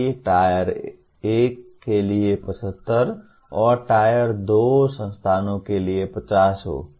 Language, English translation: Hindi, So that carries 75 for Tier 1 and 50 for Tier 2 institutions